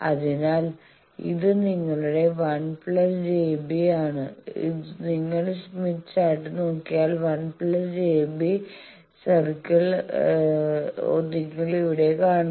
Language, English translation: Malayalam, So, this is your 1 plus j beta circle, this one you see 1 plus j beta circle if you look at your smith chart you are here